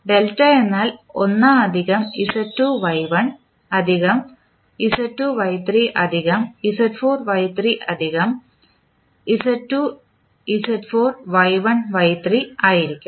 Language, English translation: Malayalam, Delta will be 1 plus Z2 Y1 plus Z2 Y3 plus Z4 Y3 plus Z2 Z4 Y1 Y3